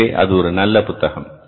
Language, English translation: Tamil, So, that's a very good book